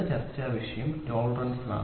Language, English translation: Malayalam, The next topic of discussion is tolerance